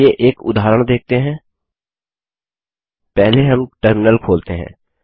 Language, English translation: Hindi, Let us now see an Eg.First we open a terminal